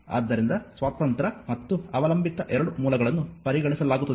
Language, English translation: Kannada, So, both your independent and dependent both sources will be considered right